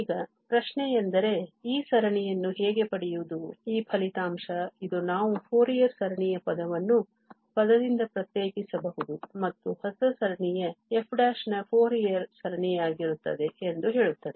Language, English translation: Kannada, Now the question is that how to get this series, this result now which says that we can differentiate the Fourier series term by term and the new series will be the Fourier series of this f prime